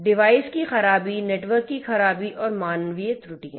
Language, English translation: Hindi, Device malfunctions; malfunction of the networks human errors